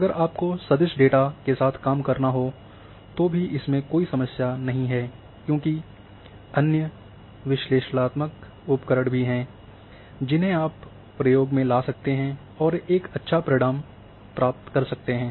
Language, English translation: Hindi, No problem even if you have to handle with vector data and there are there are other analytical tools in combination you can apply and achieve a good results